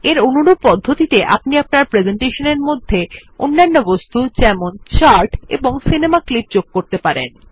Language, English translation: Bengali, In a similar manner we can also insert other objects like charts and movie clips into our presentation